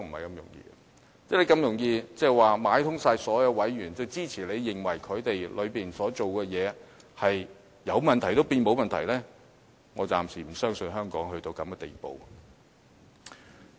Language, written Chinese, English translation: Cantonese, 如果這麼容易，表示你可買通所有委員，支持你的看法，使有問題的內部工作也變成沒有問題，但我暫時不相信香港會淪落至此地步。, If it is that easy it means that he manages to bribe all these members to support his view and turn all internal problems in ICAC into no problem . At this point of time I still do not think that Hong Kong has degraded to such a level